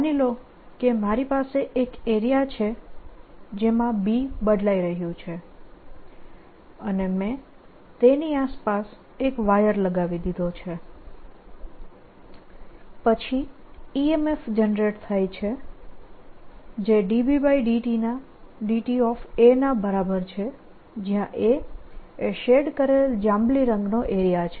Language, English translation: Gujarati, so one can say: suppose i have an area through which b is changing and i put a wire around it, then there is an e m f generated which is equal to d, b, d t times the area of that shaded purple things